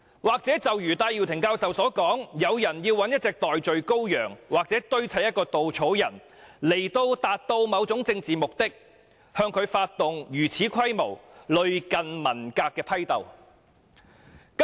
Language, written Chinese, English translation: Cantonese, 或許正如戴耀廷教授所說，有人要找一隻代罪羔羊或堆砌一個稻草人，以達到某種政治目的，於是向他發動如此規模、類近文革的批鬥。, Perhaps like Prof Benny TAI said some people want to find a scapegoat or fashion a scarecrow to achieve certain political aims . They thus initiated a purge of him in such a large scale resembling the Cultural Revolution